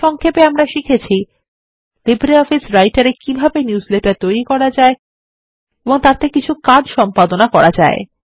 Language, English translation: Bengali, To summarise, we learned about how to Create Newsletters in LibreOffice Writer and few operations which can be performed on them